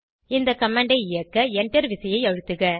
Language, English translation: Tamil, Press Enter key to execute the command